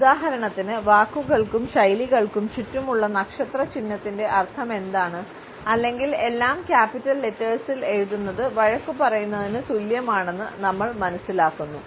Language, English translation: Malayalam, For example, we understand, what is the meaning of asterisk around words and phrases or for that matter writing in all caps is equivalent to shouting